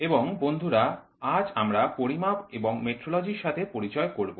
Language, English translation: Bengali, And well friends, today we will have our introduction to measurements and metrology